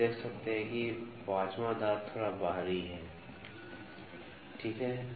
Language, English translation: Hindi, So, we can see the observations the 5th tooth is a little outlier, ok